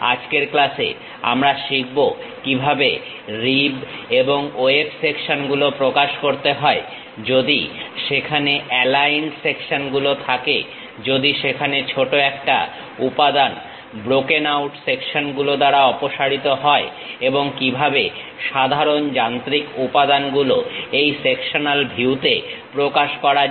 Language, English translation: Bengali, In today's class, we will learn about how to represent rib and web sections; if there are aligned sections, if there is a small material is removed by brokenout sections and how typical machine elements in this sectional view be represented